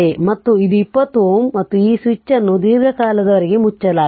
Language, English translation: Kannada, And this is 20 ohm; and this switch was closed for long time